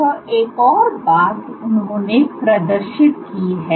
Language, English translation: Hindi, One more point he demonstrated